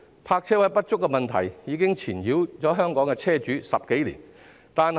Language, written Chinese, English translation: Cantonese, 泊車位不足的問題已經纏繞香港車主十多年。, The shortage of parking spaces has plagued vehicle owners in Hong Kong for more than a decade